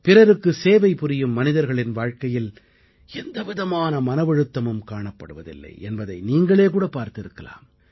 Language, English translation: Tamil, You must have observed that a person devoted to the service of others never suffers from any kind of depression or tension